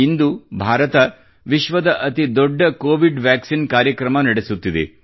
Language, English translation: Kannada, Today, India is undertaking the world's biggest Covid Vaccine Programme